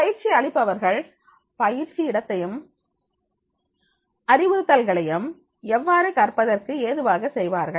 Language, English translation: Tamil, How trainers can make the training site and instructions conducive to learning